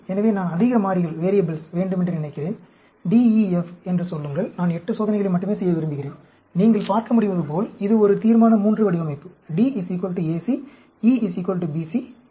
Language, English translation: Tamil, So, suppose I want to have more variables, say D, E, F, and I want to do only 8 experiments, this is a Resolution III design, as you can see; D is equal AC; E is equal to BC; F is equal to ABC